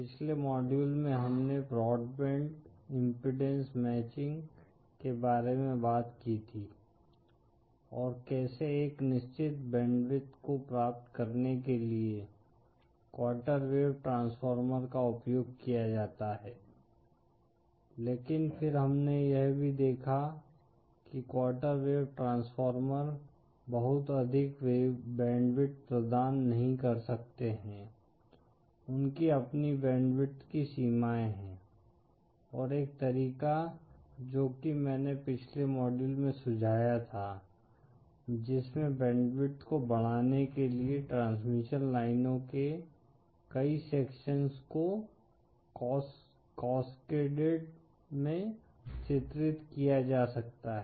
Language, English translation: Hindi, In the previous module we had talked about the broadband impedance matching & how quarter wave transformers are used for obtaining a certain bandwidth of impedance matching, but then we also saw that quarter wave transformers cannot provide a very high bandwidth, they have their own limitations of bandwidth & one of the ways that I suggested in the previous module is to increase the bandwidth could be to have multiple sections of transmission lines cascaded, featured